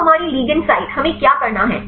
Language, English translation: Hindi, Now our ligand site what we have to do